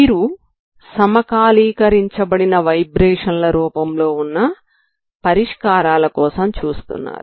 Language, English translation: Telugu, Solutions you look for as a synchronized vibrations, okay synchronized vibrations